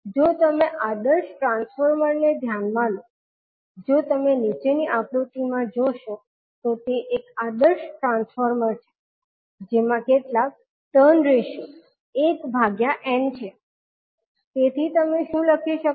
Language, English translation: Gujarati, If you consider an ideal transformer, if you see in the figure below it is an ideal transformer having some trans ratio 1 is to n, so what you can write